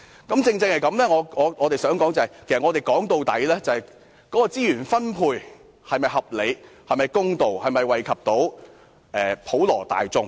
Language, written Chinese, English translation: Cantonese, 我正正想指出，問題的核心在於資源分配是否合理公道，以及能否惠及普羅大眾。, The point I am driving at is that the crux of the problem lies in the questions of whether resource distribution is reasonable and fair and whether it can benefit the general masses